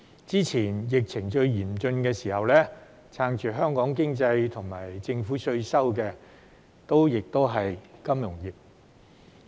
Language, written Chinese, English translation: Cantonese, 早前在疫情最嚴峻的時候，撐住香港經濟和政府稅收的亦是金融業。, Earlier when the epidemic was most serious it was the financial industry that provided backing for the Hong Kong economy and the tax revenue of the Government